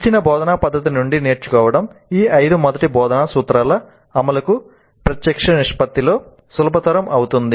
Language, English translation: Telugu, Learning from a given instruction method will be facilitated in direct proportion to the implementation of these five first principles of instruction